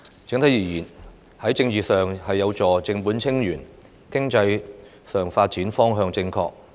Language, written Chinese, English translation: Cantonese, 整體而言，這份施政報告在政治體制上有助正本清源、在經濟上的發展方向正確。, Overall it helps restore Hong Kongs constitutional order politically and is on the right direction of development economically